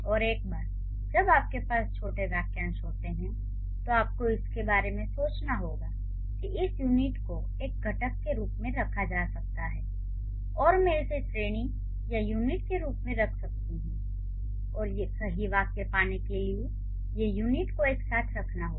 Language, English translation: Hindi, You have to think that, okay, this unit can be considered as a constituent and I can put it in one category or I can put it as one unit and these units I have to bind them together or I have to put them together to get the correct sentence